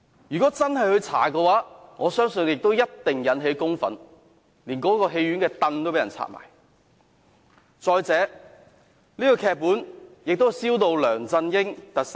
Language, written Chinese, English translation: Cantonese, 如果真的進行調查，我相信一定會引起公憤，連戲院內的椅子也會被人拆下。, Public indignation would surely be provoked if an inquiry is really conducted into the matter and the agitated masses would even cause damage to cinemas showing such a rotten movie